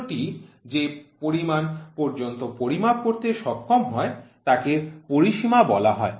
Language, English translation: Bengali, The capacity in which the instrument is capable of measuring is called the range